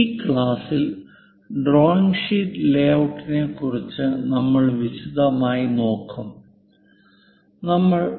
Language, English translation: Malayalam, In this class we will look at in detail for a drawing sheet layout